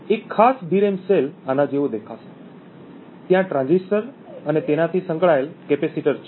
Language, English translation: Gujarati, One particular DRAM cell would look like this, there is a transistor and an associated capacitor